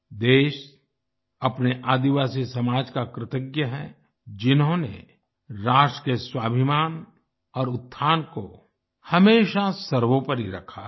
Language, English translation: Hindi, The country is grateful to its tribal society, which has always held the selfrespect and upliftment of the nation paramount